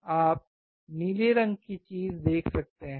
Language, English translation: Hindi, You can see blue color thing